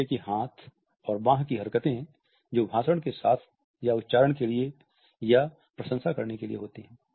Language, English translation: Hindi, So, there are the hand and arm movements that accompanies speech or function to accent or compliment what is being said